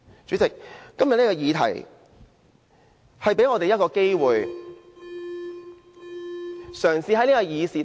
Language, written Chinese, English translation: Cantonese, 主席，今天這個議題給我們一個機會。, President the subject of our discussion today gives us an opportunity to change